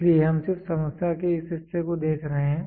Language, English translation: Hindi, So, we are just looking at only this parts of the problem